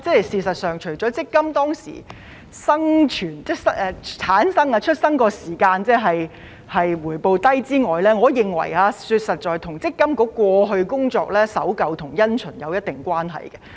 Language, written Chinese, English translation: Cantonese, 事實上，除了因為強積金推出時的回報低之外，我認為實在與積金局過去的工作守舊因循有一定關係。, As a matter of fact apart from the low returns at the introduction of MPF I think it has something to do with MPFAs old - fashioned and conventional way of work in the past